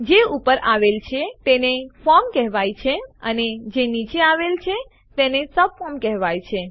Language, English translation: Gujarati, The one above is called the form and the one below is called the subform